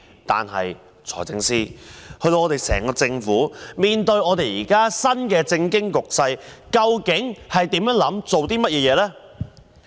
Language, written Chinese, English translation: Cantonese, 但是，財政司司長，面對新的政經局勢，究竟整個政府有何想法及做法？, However Financial Secretary in the face of the new norm of global politics and economies what does the entire Government think and what action will it take?